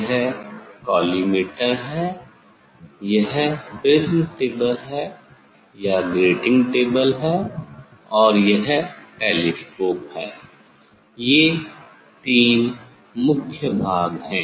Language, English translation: Hindi, this is the collimators, this is the collimator, this is the prism table or grating table and this is the telescope, this is the three major components